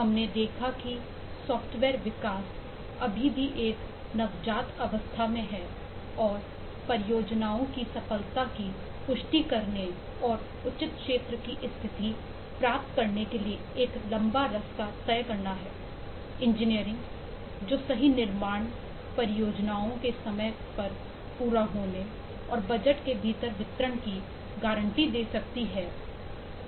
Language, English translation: Hindi, we have seen that eh software development is still at a nascent stage and has a long way to go for confirm success of projects and to achieve a status of a proper field of eh engineering which can guarantee correct construction, timely completion of projects and within budget delivery and so on